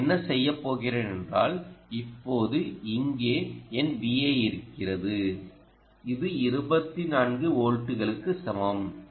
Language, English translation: Tamil, what i will do is now, here is my v in, which is equal to twenty four volts, so i will rub this out